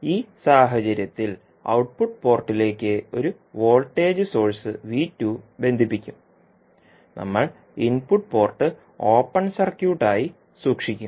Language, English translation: Malayalam, In this case will connect a voltage source V2 to the output port and we will keep the input port as open circuit